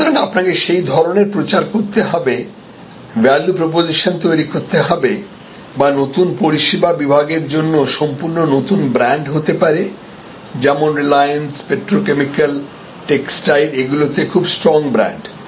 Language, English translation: Bengali, So, you need to create that sort of campaign that sort of value proposition etc or there can be a completely new brand for a new service category like reliance is very strong brand in petrochemicals are textiles and so on